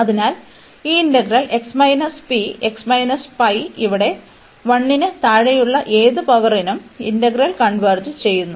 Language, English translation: Malayalam, So, this integral converges for any power here x minus p, x minus pi power any power here less than 1 this integral converges